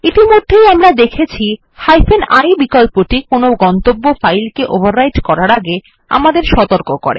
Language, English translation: Bengali, The i option that we have already seen warns us before overwriting any destination file